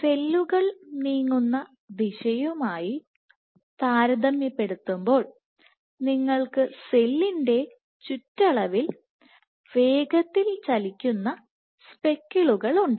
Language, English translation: Malayalam, So, backward compared to the direction in which the cells are moving and you have fast moving speckles right at the periphery of the cell